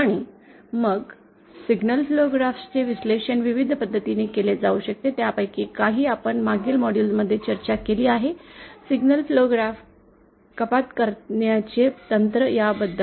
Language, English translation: Marathi, And then single flow graphs can be analysed using various methods, some of which we have discussion previous modules, the signal flow graph reduction techniques